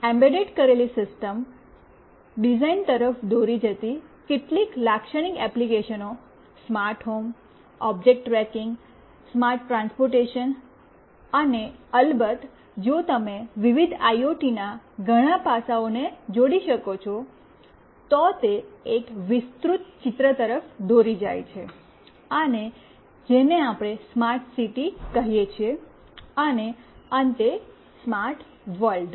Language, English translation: Gujarati, Some typical applications leading to embedded system design could be smart home, object tracking, smart transportation, and of course if you combine many of the aspects of various IoTs, then it leads to a broader picture we call it smart city, and ultimately to smart world